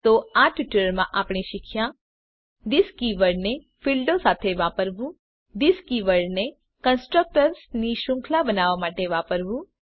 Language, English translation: Gujarati, In this tutorial we will learn About use of this keyword To use this keyword with fields To use this keyword for chaining of constructors